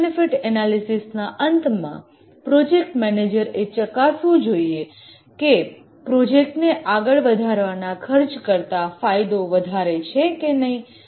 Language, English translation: Gujarati, At the end of the cost benefit analysis, the project manager needs to check whether the benefits are greater than the costs for the project to proceed